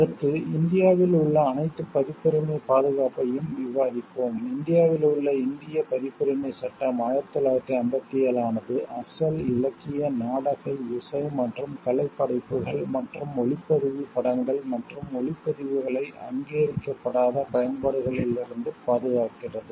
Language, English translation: Tamil, Next, we will go for discussion all the protection of copyrights, in India the Indian Copyright Act 1957 protects original literally, dramatic, musical and artistic works and cinematograph films and sound recordings from unauthorized uses